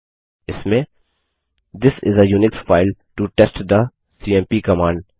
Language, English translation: Hindi, It will contain the text This is a Unix file to test the cmp command